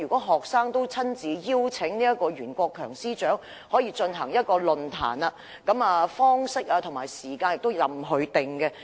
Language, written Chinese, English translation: Cantonese, 學生曾親自邀請袁國強司長出席論壇，並表示討論的方式及時間由他決定。, Students have personally invited Secretary for Justice Rimsky YUEN to attend a forum and indicated that he could decide on the mode of discussion and meeting time